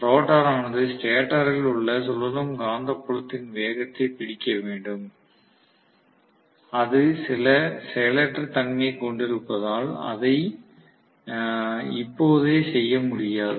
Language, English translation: Tamil, The rotor has to catch up with the stator revolving magnetic field, which it will not be able to do right away because it has certain inertia